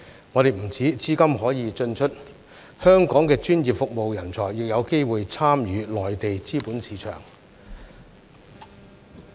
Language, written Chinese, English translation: Cantonese, 在香港，不單資金可以進出，我們的專業服務人才亦有機會參與內地資本市場。, In Hong Kong not only can capital flow in and out but our talents in professional services can also have opportunities to play a part in the Mainlands capital market